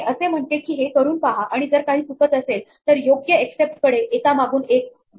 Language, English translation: Marathi, It says try this and if something goes wrong, then go to the appropriate except one after the other